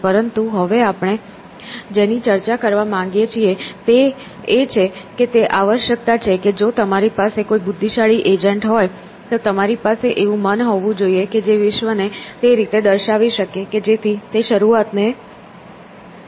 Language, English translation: Gujarati, But now what we want to discuss is that it is a necessity that if you have to have an intelligent agent, we have to have a mind which can represent the world in a way that it can manage the representation effectively